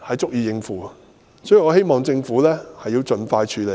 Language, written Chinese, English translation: Cantonese, 所以，我希望政府盡快處理。, Therefore I hope that the Government will tackle the issue expeditiously